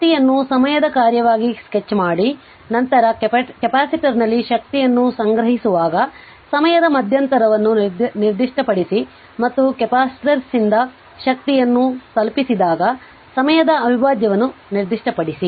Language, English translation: Kannada, Sketch the energy as function of time, then specify the interval of time when energy is being stored in the capacitor and specify the integral of time when the energy is delivered by the capacitor